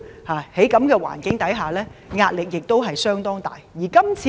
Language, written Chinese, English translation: Cantonese, 在這種環境下，他們的壓力相當大。, The pressure they face in the prevailing environment is immense